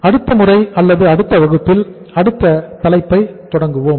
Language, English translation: Tamil, So I will stop here and next time or in the next class we will start the next topic